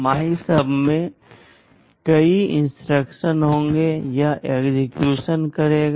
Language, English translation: Hindi, In MYSUB, there will be several instructions, it will execute